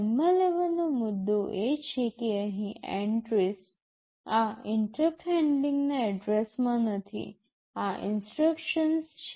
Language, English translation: Gujarati, The point to notice is that entries out here, these are not addresses of interrupt handler rather these are instructions